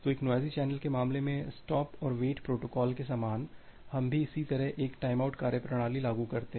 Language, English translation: Hindi, So, in case of a noisy channel, similar to the stop and wait protocol we also implement similarly a timeout mechanism